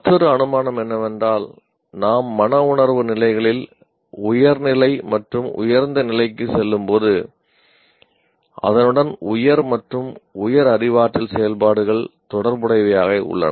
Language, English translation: Tamil, And also another assumption is as we go up in the higher and higher affective levels, there is higher and higher cognitive activity also associated with that